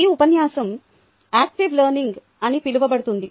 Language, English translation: Telugu, this lecture will be on something called active learning